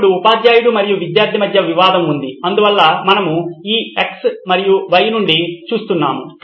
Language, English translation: Telugu, Now the conflict is between the teacher and the student so that’s what we are looking at from on this x and y